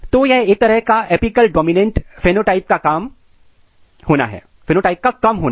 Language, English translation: Hindi, So, this is a kind of loss of apical dominant kind of phenotype